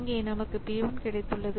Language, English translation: Tamil, So, here I have got P 1